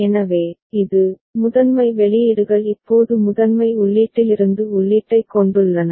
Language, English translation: Tamil, So, this one, the primary outputs now is having input also from primary input ok